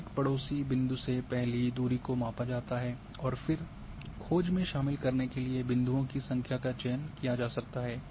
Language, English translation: Hindi, So, first distance from each neighbouring point is measured and then number of points to include in the search can be selected